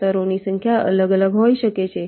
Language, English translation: Gujarati, number of layers may be different, may vary